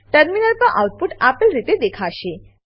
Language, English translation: Gujarati, The output will be as displayed on the terminal